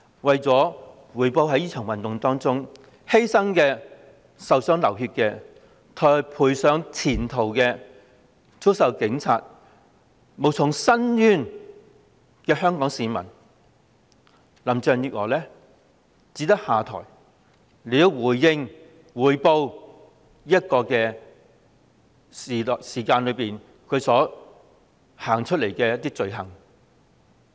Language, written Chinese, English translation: Cantonese, 對於在這場運動中犧性、受傷流血、賠上前途、遭受警暴而無從申冤的香港市民，林鄭月娥只有下台才能補償她在這段日子所犯的罪行。, To the Hong Kong citizens who have sacrificed suffered injuries bled lost their future and experienced police brutality in the current movement and who have no way of redressing such injustices only by stepping down can Carrie LAM compensate them for the crimes she committed in these days